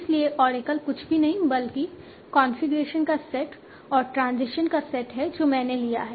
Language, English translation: Hindi, So, Oracle is nothing but the side of configurations and the side of transition that I took